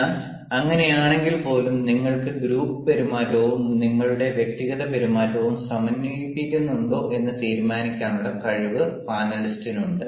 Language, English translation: Malayalam, but then, even even even in that case, the panelist has the capability to judge whether you are having a beautiful blend of group behavior and your individual behavior